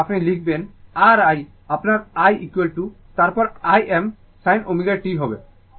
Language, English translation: Bengali, Then you write R i your i is equal to then your I m sin omega t